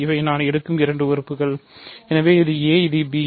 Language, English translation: Tamil, So, these are the two elements I will take, so a is this, b is this